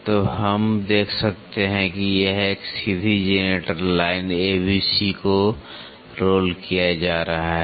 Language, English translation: Hindi, So, we can see that if a straight generators line A B C is being rolled